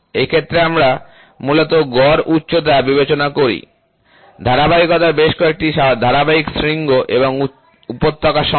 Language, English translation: Bengali, So, in this case we basically consider the average height, encompassing a number of successive peaks and valleys of the asperities